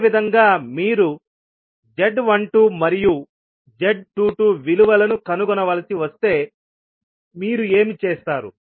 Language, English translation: Telugu, Similarly, if you need to find the value of Z12 and Z22, what you will do